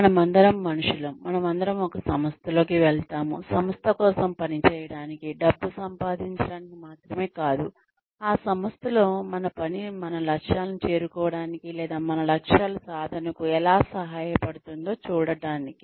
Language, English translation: Telugu, We are all human beings, we all go in to an organization, not only to work for the organization, and get money, but also to see, how our work in that organization, can help us reach or meet our goals, or achieve our goals